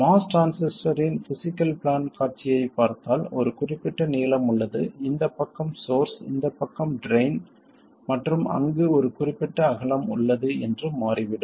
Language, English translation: Tamil, It turns out that if you look at the physical plan view of the most transistor, there is a certain length, this side is the source, this side is the drain and there is a certain width